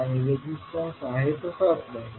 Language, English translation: Marathi, And the resistance will remain the same